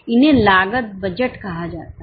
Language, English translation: Hindi, Those are called as cost budgets